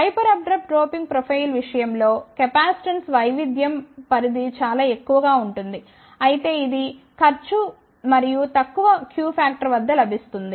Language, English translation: Telugu, In case of hyper abrupt doping profile, the capacitance variation range is relatively high, but it comes at the cost and low q vector